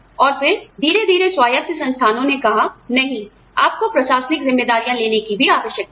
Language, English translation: Hindi, And, then slowly, autonomous institutes said, no, you need to have administrative responsibilities, also